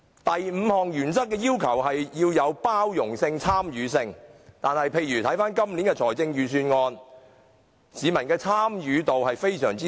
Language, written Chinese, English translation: Cantonese, 第五項原則要求具包容性、參與性，但本年的財政預算案，市民的參與度非常低。, The fifth principle requires inclusive and participative debate . However in this Budget public participation is very low